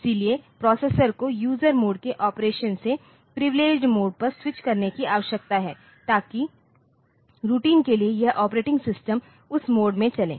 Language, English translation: Hindi, So, the processor needs to switch from user mode of op operation to some privileged mode so that this operating system for routines will be running in that mode